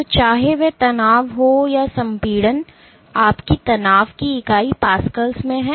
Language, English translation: Hindi, So, whether it be tension or compression your unit of stress is in Pascals